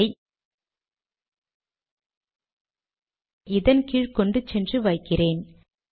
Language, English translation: Tamil, Let me take this here, below this, put it